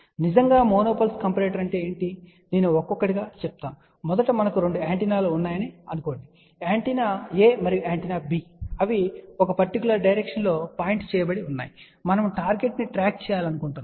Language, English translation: Telugu, What is really a mono pulse comparator I will go through that one by one, think about first we have 2 antennas; antenna A and antenna B and they are pointing in one particular direction, and let us say we want to track a target